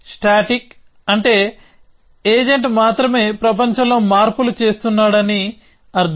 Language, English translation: Telugu, By static we mean that agent is the only one making changes in the world essentially